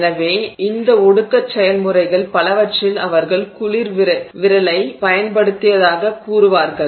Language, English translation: Tamil, So, in many of these condensation process they will say that they have used a cold finger